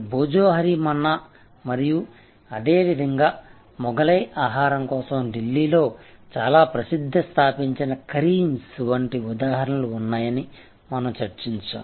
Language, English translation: Telugu, So, we discussed that Bhojohori Manna and similarly there are example likes Karim’s, a very famous establishment in Delhi for Mughlai food